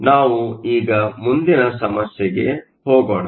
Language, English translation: Kannada, So, let us now go to the next problem